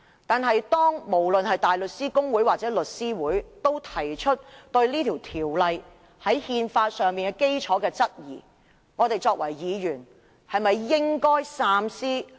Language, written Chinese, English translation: Cantonese, 但是，當大律師公會或香港律師會都對《條例草案》的憲法基礎提出質疑，我們作為議員，是否也應該三思？, However when the Bar Association or The Law Society of Hong Kong has raised doubt on the constitutional foundation of the Bill should we Members also think twice?